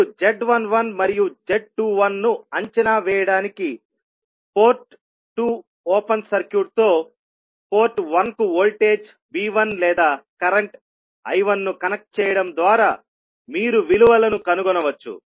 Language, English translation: Telugu, Now to evaluate Z11 and Z21 you can find the values by connecting a voltage V1 or I1 to port 1 with port 2 open circuited, then what you will do